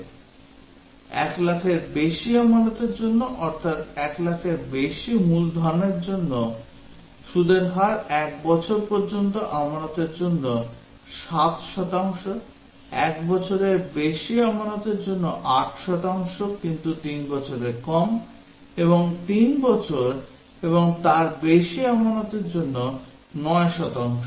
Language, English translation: Bengali, For deposits of more than 1 lakh, that is principal greater than 1 lakh the rate of interest is 7 percent for deposit up to 1 year, 8 percent for deposit over 1 year but less than 3 years and 9 percent for deposits over 3 year and above